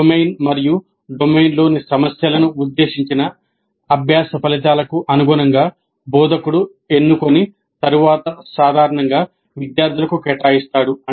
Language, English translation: Telugu, The domain as well as the problems in the domain are selected by the instructor in accordance with the intended learning outcomes and are then typically assigned to the students